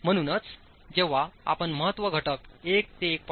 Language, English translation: Marathi, 5, as you are moving from importance factor 1 to 1